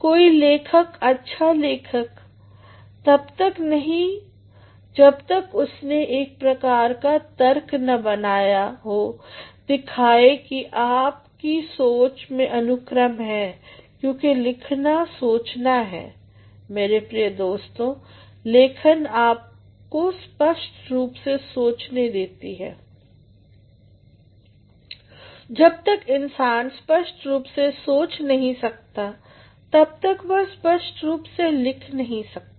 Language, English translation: Hindi, No writer is a good writer unless and until he has developed a sort of reasoning that shows that there is a sequence in your thoughts because writing is thinking my dear friends, writing allows you to think clearly unless and until a man can think clearly he cannot write clearly